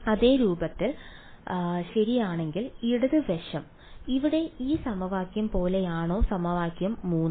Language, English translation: Malayalam, Of the same form correct does the left hand side look like that of this equation over here equation 3 ok